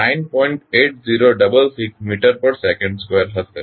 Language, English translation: Gujarati, 8066 meter per second square